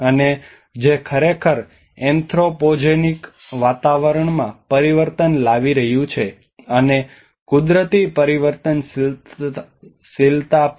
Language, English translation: Gujarati, And which is actually causing the anthropogenic climate change and also the natural variability